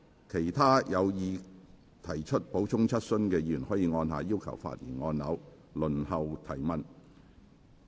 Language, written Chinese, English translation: Cantonese, 其他有意提出補充質詢的議員可按下"要求發言"按鈕，輪候提問。, Other Members who wish to ask supplementary questions may indicate their wish by pressing the Request to speak button and wait for their turn